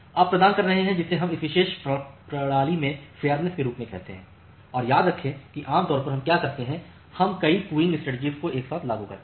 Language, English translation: Hindi, So, you are providing what we call as the fairness in this particular system and remember that normally what we do that we apply multiple queuing strategies together